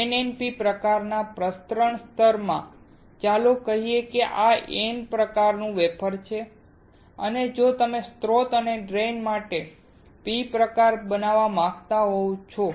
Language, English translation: Gujarati, In NNP type of diffusion, let us say, this is N type wafer and you want to create a P type for source and drain